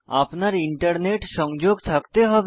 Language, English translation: Bengali, You will also require Internet connectivity